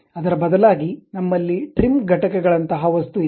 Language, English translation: Kannada, Instead of that, we have an object like trim entities